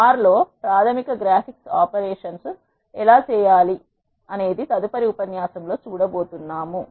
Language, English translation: Telugu, In the next lecture we are going to see how to perform basic graphics operations in R